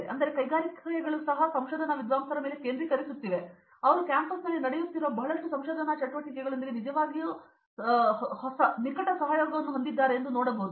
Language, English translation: Kannada, So, now, we can see that the industries are also focusing on research scholars and they are also having close collaboration with lot of research activities that’s happening in the campus